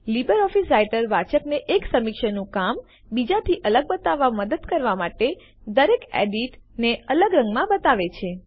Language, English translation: Gujarati, LO Writer will show each edit in a different colour to help the reader distinguish one reviewers work from another